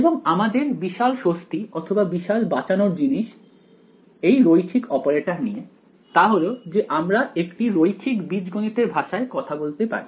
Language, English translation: Bengali, And the great relief or the great sort of saving grace about it is that linear operators, we can talk about in the language of linear algebra